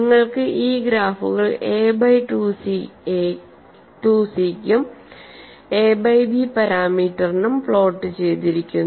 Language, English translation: Malayalam, So, you have these graphs also available; you have these graphs plotted for a by 2 c as well as a by b as a parameter